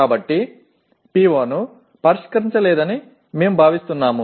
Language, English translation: Telugu, So we consider that PO is not considered addressed